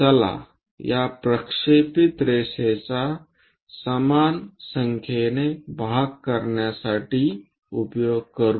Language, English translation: Marathi, Let us use this projected line into equal number of parts